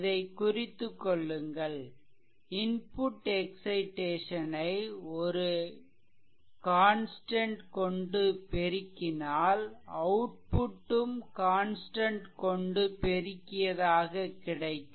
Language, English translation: Tamil, If the input is excitation, and it is multiplied by constant, then output is also multiplied by the same constant